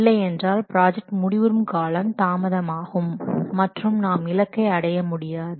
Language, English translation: Tamil, Otherwise, the project, the end completion date of the project will be delayed and we cannot meet the target line